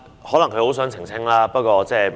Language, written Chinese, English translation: Cantonese, 可能她很想澄清，這不要緊。, Perhaps she is desperate to make an elucidation . Never mind